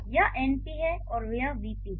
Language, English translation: Hindi, So, this is NP and this is VP